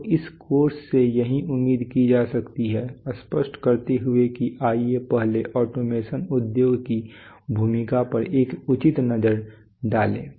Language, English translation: Hindi, So this is what can be expected from this course, having clarified that let's first take a reasonable look on the role of automation industry